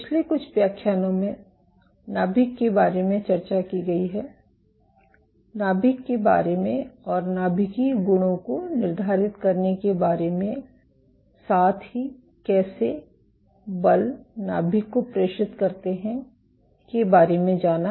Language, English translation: Hindi, So, the last few lectures have been discussing about nucleus what dictates the nuclear properties and how forces get transmitted to the nucleus